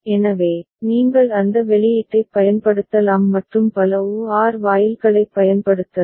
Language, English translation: Tamil, So, you can use those output and can make use of multiple OR gates